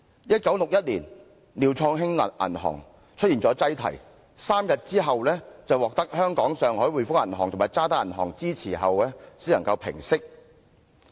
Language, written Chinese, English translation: Cantonese, 1961年，廖創興銀行出現擠提 ，3 天後獲香港上海滙豐銀行及渣打銀行支持後，才能平息事件。, In 1961 the Liu Chong Hing Bank suffered a run that was resolved only with the backing of the Hongkong and Shanghai Banking Corporation and the Standard Chartered three days later